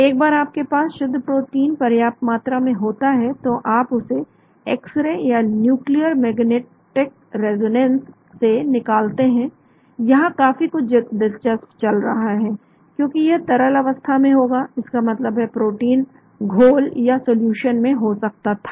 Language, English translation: Hindi, Once you have sufficient amount of crystal protein, you pass it through x ray or a nuclear magnetic resonance; there is a lot of interest that is happening here, because this would be in the liquid form that means proteins could be in the solution